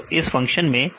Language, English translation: Hindi, So, in this function